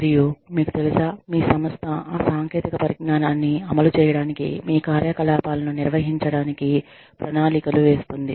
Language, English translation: Telugu, And, maybe, you know, your organization is planning, to implement that technology, to manage your operations